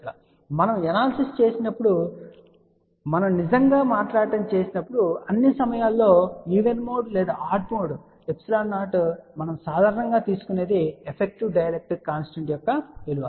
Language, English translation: Telugu, However, when we do the analysis we don't really speaking take all the time even mode or odd mode epsilon 0, what we take generally is effective value of the dielectric constant